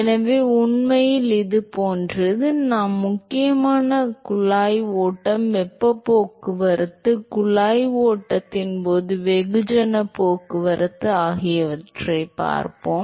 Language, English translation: Tamil, So, so it is really like, we will predominantly look at pipe flow, look at heat transport, mass transport during pipe flow